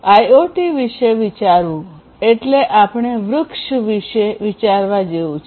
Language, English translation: Gujarati, To think about IoT; let us think about let us you know think about a tree